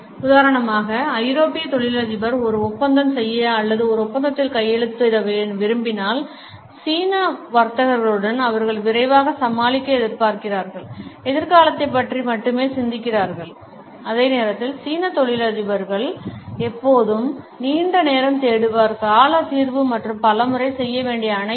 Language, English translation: Tamil, For instance when European businessman want to make a deal or sign a contract with Chinese businessmen, they expect to make to deal fast and only think about the future while the Chinese businessman will always look for a long term solution and everything to do several times